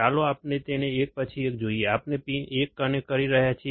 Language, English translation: Gujarati, Let us see them one by one, we are not connecting 1